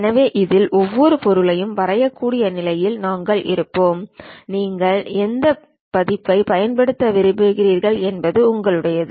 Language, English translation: Tamil, So, on this we will be in a position to draw any object and it is up to you which version you would like to use